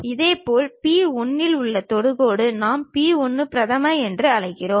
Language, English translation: Tamil, Similarly, the tangent at p 1 which we are calling p 1 prime